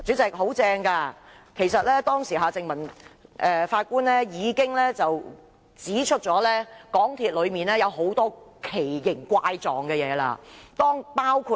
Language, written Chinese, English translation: Cantonese, 主席，當時法官夏正民已經指出，港鐵公司內有很多稀奇古怪的事情。, President at that time Mr Justice Michael John HARTMANN had pointed out the many absurdities in MTRCL